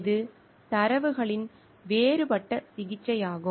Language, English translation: Tamil, It is a differential treatment of data